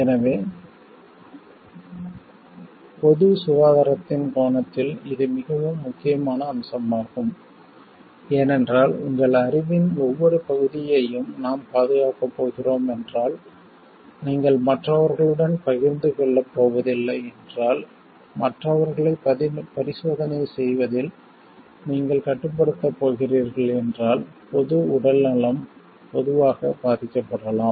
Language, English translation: Tamil, So, it is very very important aspect from the angle of public health because if you going to safeguard every part of your knowledge and if you are not going to share with others if you are going to restrict others on experimenting on it, then public health in general may suffer